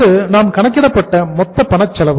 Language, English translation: Tamil, So this is the total cash cost we have calculated